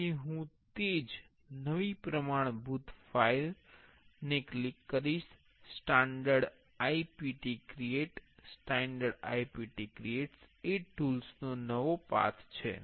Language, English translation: Gujarati, So, I will click the same new standard part file, standard IPT creates is the new path from the tools